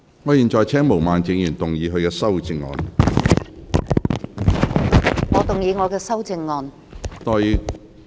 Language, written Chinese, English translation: Cantonese, 我現在請毛孟靜議員動議修正案。, I now call upon Ms Claudia MO to move an amendment